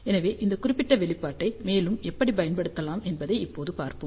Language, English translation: Tamil, So, let us see now how this particular expression can be used further